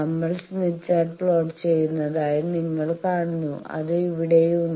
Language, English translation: Malayalam, You see that we are plotting the smith chart, it is here